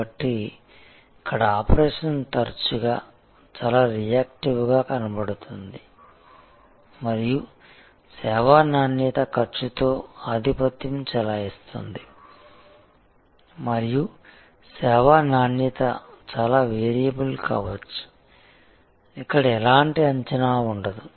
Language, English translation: Telugu, So, here operation is often found to be quite reactive and service quality is dominated by cost and service quality can be quite variable, there is no predictability here